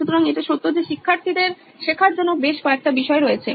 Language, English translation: Bengali, So let’s take it as a fact that there are several subjects for students to learn